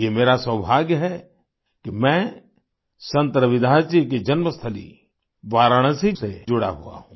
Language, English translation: Hindi, It's my good fortune that I am connected with Varanasi, the birth place of Sant Ravidas ji